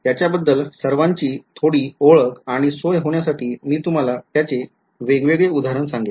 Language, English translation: Marathi, So, to give you some familiarity and comfort with it, I will give you all of these different examples alright